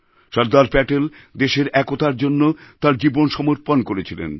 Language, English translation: Bengali, Sardar Patel dedicated his entire life for the unity of the country